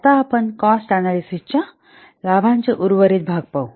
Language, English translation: Marathi, So, now let's see the remaining parts of cost benefit analysis